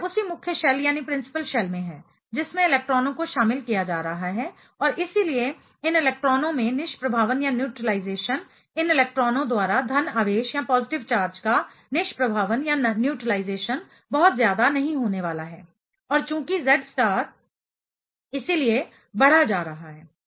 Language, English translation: Hindi, So, it is in the same principal shell the electrons are getting incorporated and therefore, therefore, the neutralization of these in electrons neutralization of the positive charge by these electrons are not going to be too much and since the Z star therefore, going to be increased